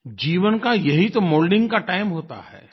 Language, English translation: Hindi, This is THE time for moulding one's life